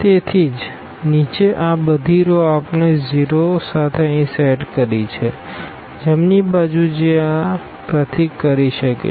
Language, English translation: Gujarati, So, all these rows on the bottom we have set these with 0s here the right hand side this symbol can